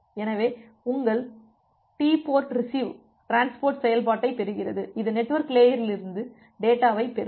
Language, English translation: Tamil, So, your TportRecv(), the transport receive function; it will receive the data from the network layer